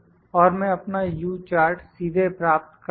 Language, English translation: Hindi, And I will directly get my U charts